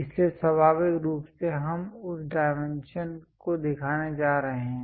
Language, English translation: Hindi, So, naturally we are going to show that dimension